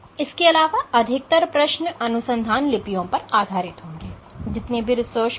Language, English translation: Hindi, Again most of the questions for the final exam will be based on the research papers